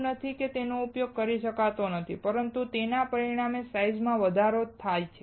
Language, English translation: Gujarati, It is not that it cannot be used, but it will result in increased size